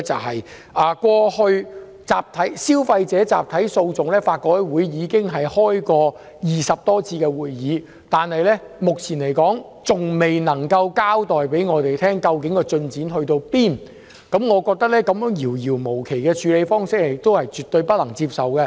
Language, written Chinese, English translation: Cantonese, 法律改革委員會過去已就消費者集體訴訟召開20多次會議，但目前還未能向我們交代有關進展，我認為這種遙遙無期的處理方式絕對不能接受。, The Law Reform Commission has held over 20 meetings to discuss class action for consumers but it has yet to inform us of the progress made and I find it unacceptable that there is no specific date on which a decision can be made